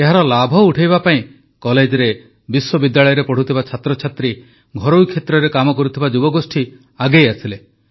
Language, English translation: Odia, And to avail of its benefits, college students and young people working in Universities and the private sector enthusiastically came forward